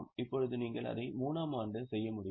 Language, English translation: Tamil, Now, can you do it for year 3